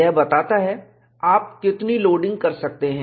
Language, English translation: Hindi, It tells you how much loading you can do